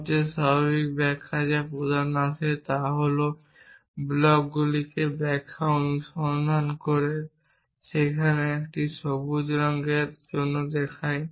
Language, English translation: Bengali, The most natural interpretation which comes to main is the blocks follow interpretation and where green stands for a color